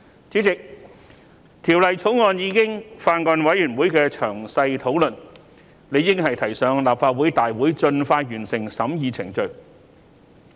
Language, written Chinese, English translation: Cantonese, 主席，《條例草案》已在法案委員會進行詳細討論，理應提交立法會大會盡快完成審議程序。, President the Bill has been discussed in detail in the Bills Committee and it should be presented to the Legislative Council to complete the process of scrutiny as soon as possible